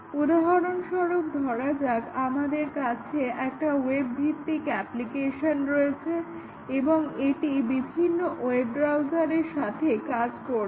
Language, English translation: Bengali, For example, we might have a web based application, and that is required to work with various web browsers